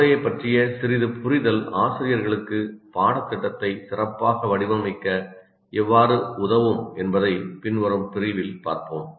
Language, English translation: Tamil, For example, we'll see in the following unit a little bit of understanding of the brain can help the teachers design the curriculum better